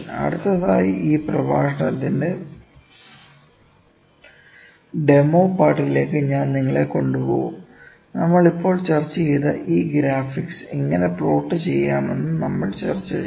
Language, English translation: Malayalam, Next, I will take you to the demonstration part of this lecture we will discuss how to plot these graphics that we have just discussed